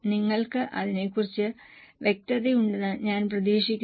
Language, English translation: Malayalam, I hope you are clear about it